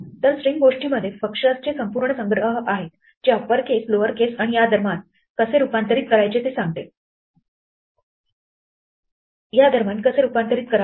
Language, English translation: Marathi, So there are whole collection of functions in the string thing which deal with upper case, lower case and how to transform between these